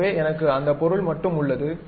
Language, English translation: Tamil, So, I have that object